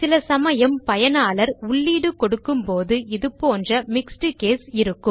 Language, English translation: Tamil, Often, when users give input, we have values like this, in mixed case